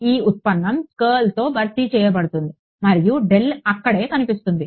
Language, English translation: Telugu, This derivative will be get replaced by curl and I mean the del will appear over there right